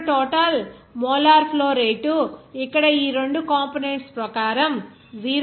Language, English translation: Telugu, Now, total molar flow rate then you can get here 0